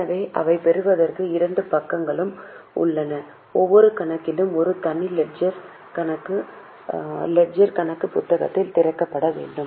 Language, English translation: Tamil, So, getting it has two sides and for every account a separate leisure account is required to be open in the leisure book